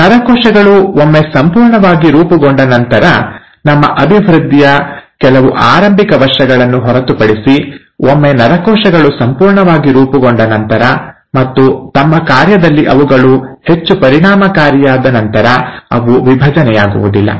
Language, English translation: Kannada, The neurons, once they have been completely formed, except for the few early years of our development, and once they have been totally formed and they have become highly efficient in their function, they do not divide